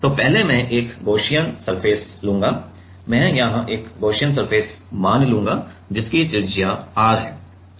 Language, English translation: Hindi, So, first I will take a Gaussian surface, I will assume a Gaussian surface here right, which is of radius r